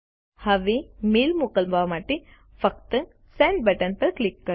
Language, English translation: Gujarati, Now, to send the mail, simply click on the Send button